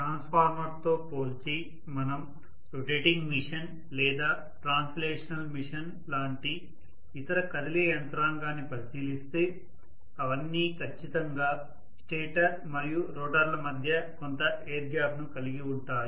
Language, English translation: Telugu, So compared to a transformer if we look at any other moving mechanism which is a rotating machine or translational machine, all those things are going to definitely have some amount of air gap between the stationary part and the rotating part